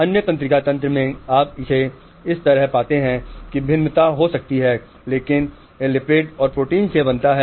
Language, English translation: Hindi, In other nervous system you find it like this, there may be variation but it is formed of lipid and protein